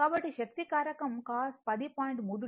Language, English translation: Telugu, So, power factor is equal to cosine 10